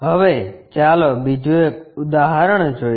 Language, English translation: Gujarati, Now, let us look at another example